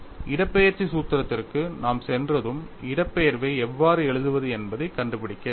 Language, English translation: Tamil, And once we go for displacement formulation, we have to find out how to write the displacement, we have already seen